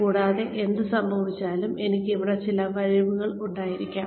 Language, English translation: Malayalam, And, whatever happens, I may have some skills here